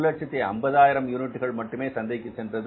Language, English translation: Tamil, Only 150,000 units are going to the market